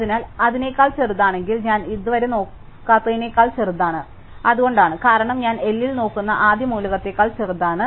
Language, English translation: Malayalam, So, if it is smaller than, it is smaller than everything which I not yet looked at, that is why, because it is smaller than the first element I am looking at in L